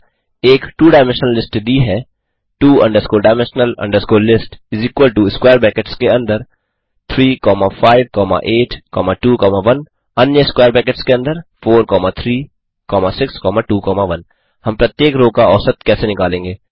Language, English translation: Hindi, Given a two dimensional list, two dimensional list is equal to within square brackets [3,5,8,2,1],within another square brackets [4,3,6,2,1] how do we calculate the mean of each row